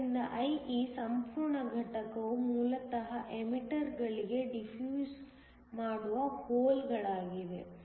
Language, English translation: Kannada, So, IE the whole component is basically the holes that are defusing into the emitter